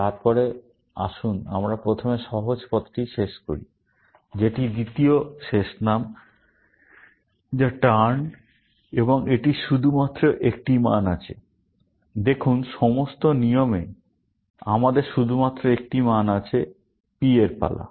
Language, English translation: Bengali, Then, let us finish up the easier path first, which is the second last name, which is turn, and it has also, only one value; see, in all the rules, we have only one value; turn of P; turn of P